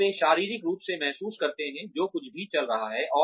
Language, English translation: Hindi, And, they physically feel, whatever is going on